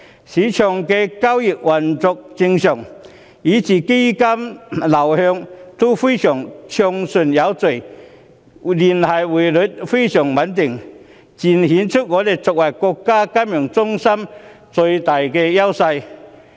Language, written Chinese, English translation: Cantonese, 市場的交易運作正常，基金流向也非常暢順有序，聯繫匯率非常穩定，正正顯示香港作為國家金融中心的最大優勢。, Transactions in the market operate normally fund flows are orderly and the Linked Exchange Rate is very stable . All these indicate Hong Kongs greatest edges in being the financial centre of the State